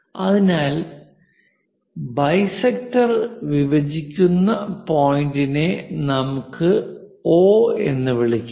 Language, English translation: Malayalam, So, the point where it is intersecting dissecting that point let us call O